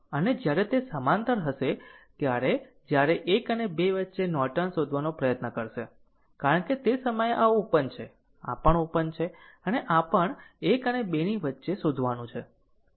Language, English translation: Gujarati, And ah, and when it will be in parallel that, when we will try to find out in between one and two are Norton, because at that time this is open, this is also open and this is also we have to find out between 1 and 2